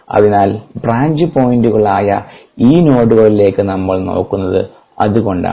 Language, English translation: Malayalam, so that is why we look at these nodes, the branch points